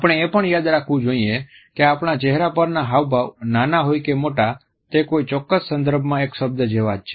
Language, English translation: Gujarati, We also have to remember that a single expression on our face whether it is micro or macro is like a word in a particular context